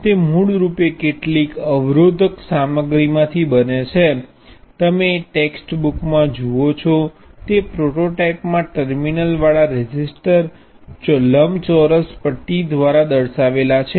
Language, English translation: Gujarati, It is basically some resistive material, the prototype that you see in text books consists a rectangular bar of resistive material with one terminal here and other terminal there